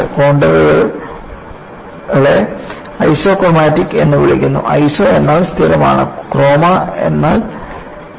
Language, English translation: Malayalam, These contours are known as Isochromatic; the meaning isiso means constant; chroma means color